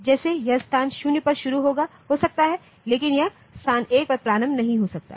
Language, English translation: Hindi, Like it can start at location 0, but it cannot start at location 1